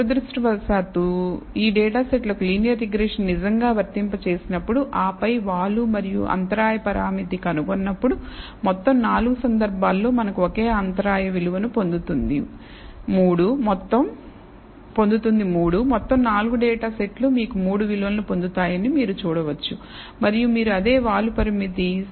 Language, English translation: Telugu, Unfortunately, when we actually apply linear regression to these data sets, and then find the slope and the intercept parameter we find that in all 4 cases we get the same intercept value of 3, you can see that all 4 data sets you get a value of 3, and you also get the same slope parameter which is point 5 in all 4 cases